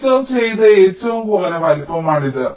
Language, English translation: Malayalam, this is the minimum featured size